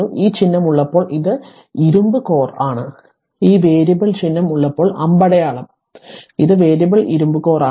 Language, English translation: Malayalam, When this symbol is there it is iron core here it is written it is iron core when this variable sign is there that arrow is there this is variable iron core